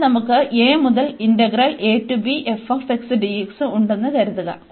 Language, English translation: Malayalam, So, suppose we have this integral a to b f x dx